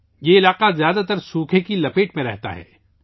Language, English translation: Urdu, This particular area mostly remains in the grip of drought